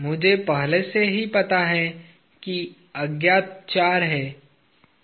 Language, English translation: Hindi, I already know there are four unknowns